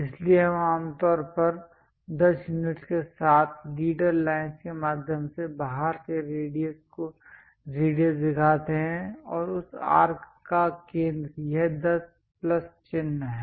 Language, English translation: Hindi, So, we usually show that radius from outside through leader line with 10 units and center of that arc is this 10 plus sign